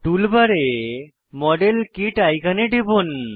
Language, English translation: Bengali, Click on the modelkit icon in the tool bar